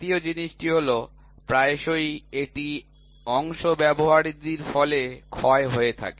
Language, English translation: Bengali, Second thing is I frequently have a wear and tear of parts